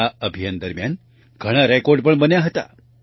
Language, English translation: Gujarati, Many records were also made during this campaign